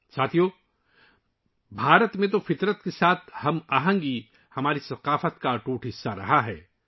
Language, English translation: Urdu, Friends, in India harmony with nature has been an integral part of our culture